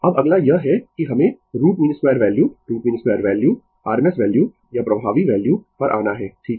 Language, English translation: Hindi, Now, next is that your we have to come to the root mean square value root mean square value r m s value or effective value right